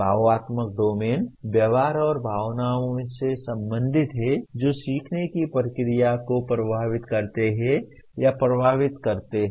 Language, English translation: Hindi, The affective domain relates to the attitudes and feelings that result from or influence a learning process